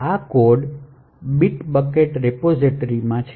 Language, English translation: Gujarati, So, this code is present in the bit bucket repository